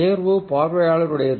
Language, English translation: Tamil, the choice is the viewer's